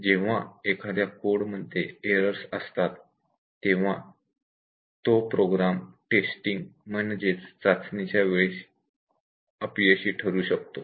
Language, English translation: Marathi, And when there are errors in the code the program might fail during testing